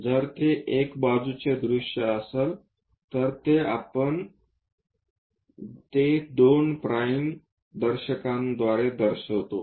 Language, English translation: Marathi, If it is side view, we show it by two prime notation